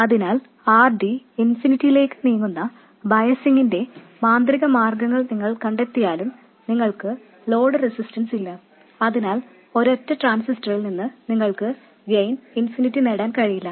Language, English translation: Malayalam, So even if you find magical ways of biasing where RD is tending to infinity and you don't have any load resistance at all, you still cannot get infinite gain from a single transistor